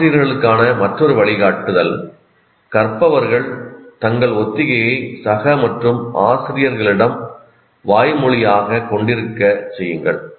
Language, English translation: Tamil, And another guideline to teacher, have learners verbalize their rehearsal to peers and teachers